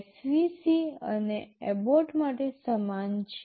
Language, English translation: Gujarati, Similar for SVC and abort